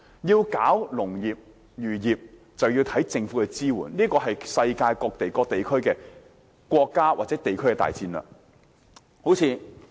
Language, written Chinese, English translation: Cantonese, 農業及漁業發展視乎政府的支援，這是世界各國及地區的大戰略。, Development in agriculture and fisheries relies on government support and this is a major strategy adopted by countries and regions around the world